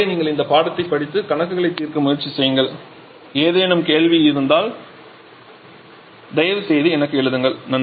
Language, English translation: Tamil, Till then you revise this lecture try to solve the assignment problems and in case of any query please write back to me, Thank you